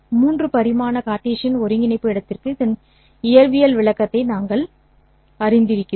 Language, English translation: Tamil, w for a three dimensional Cartesian coordinate space, we are familiar with the physical interpretation of this